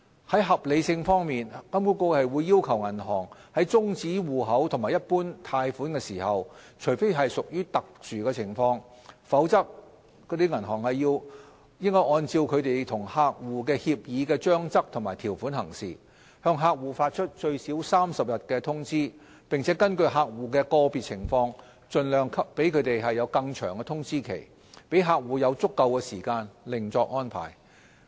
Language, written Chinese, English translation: Cantonese, 在合理性方面，金管局要求銀行在終止戶口及一般貸款時，除非屬特殊情況，否則應按照銀行與客戶協議的章則及條款行事，向客戶發出最少30天的通知，並根據客戶的個別情況盡量給予更長的通知期，讓客戶有足夠時間另作安排。, In terms of reasonableness HKMA requires banks to unless in exceptional circumstances follow the terms and conditions agreed with customers and give at least 30 days notice if banks decide to close their accounts or terminate their loans . Depending on the circumstances of individual customers a longer notice period should be provided as far as possible so that they can have sufficient time to make alternative arrangements